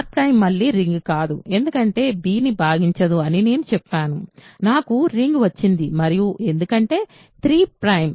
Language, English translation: Telugu, So, R prime is not a ring say again because I said 3 does not divide b I got a ring where and because 3 is a prime